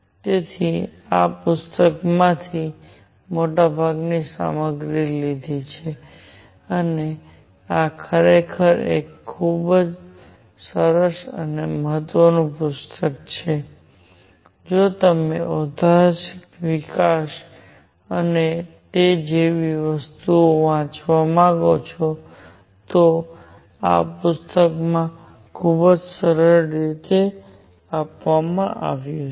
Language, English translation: Gujarati, So, I have taken most of these materials from this book and this is really a very nice book, if you want to read the historical development and things like those, this is very nicely given in this book